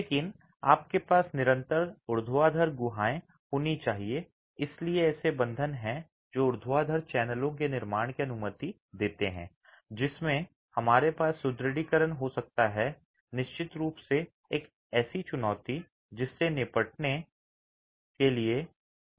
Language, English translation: Hindi, Stack bonding with vertical joints is not desirable but you must have continuous vertical cavities and hence bonds that allow for the formation of vertical channels into which you can have reinforcement is definitely a challenge which has to be tackled